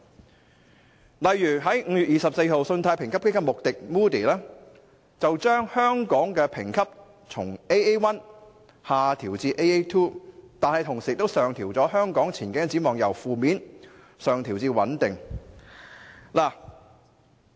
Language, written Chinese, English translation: Cantonese, 舉例而言，在5月24日，信貸評級機構穆迪把香港的評級從 "Aa1" 下調至 "Aa2"， 但同時把香港的前景展望由"負面"上調至"穩定"。, For instance on 24 May Moodys the credit rating agency downgraded its rating on Hong Kong from Aa1 to Aa2 yet simultaneously upgraded Hong Kongs rating outlook from negative to stable